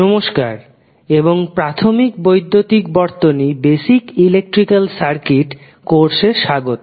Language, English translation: Bengali, Hello and welcome to the course on basic electrical circuits